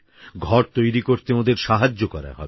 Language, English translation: Bengali, They will be assisted in construction of a house